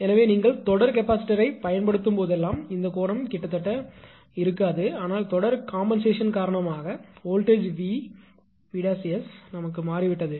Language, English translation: Tamil, So, whenever you series capacitor this angle is not change actually right almost same but due to the series compensation the voltage VS dash has changed